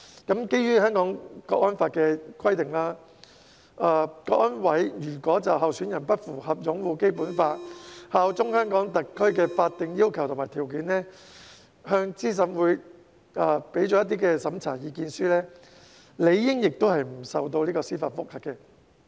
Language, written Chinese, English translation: Cantonese, 基於《香港國安法》的規定，香港國安委如果就候選人不符合擁護《基本法》、效忠香港特區的法定要求和條件，向資審會作出審查意見書，理應不受司法覆核。, Under the provisions of the Hong Kong National Security Law it stands to reason that an opinion issued by CSNS to CERC in respect of a candidate who fails to meet the legal requirements and conditions of upholding the Basic Law and bearing allegiance to HKSAR shall not be amenable to judicial review